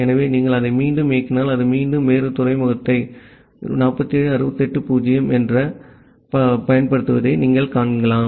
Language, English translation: Tamil, So, if you run it again, you see that it is again using a different port 47680